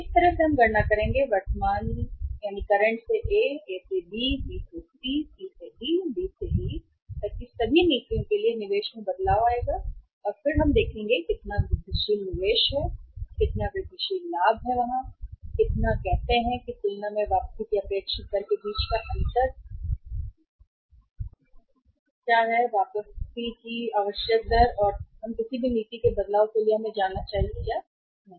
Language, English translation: Hindi, So this way we will calculate the say change in the investment for all the policies from current to A, A to B, B to C, C to D, D to E and then we will see how much incremental investment is there, how much incremental profit is there, and how much say is is the difference between the expected uh rate of return as compared to the required rate of return and whether we should go for any policy change or not